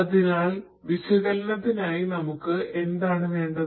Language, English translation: Malayalam, So, for analytics we need what